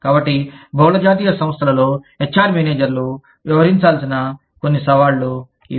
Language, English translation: Telugu, So, these are some of the challenges, that HR managers, in multi national enterprises, have to deal with